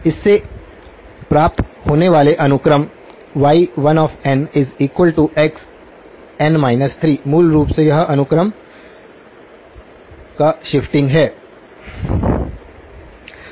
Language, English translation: Hindi, Sequences that are obtained from this; 1; y1 of n is x of n minus 3 basically that is a shifting of the sequence